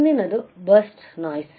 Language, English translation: Kannada, What is burst noise